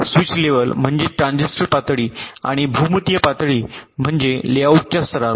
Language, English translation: Marathi, switch level means transitor level and geometric level means at the level of the layouts